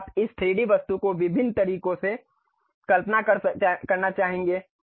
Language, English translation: Hindi, Now, you would like to visualize this 3D object in different ways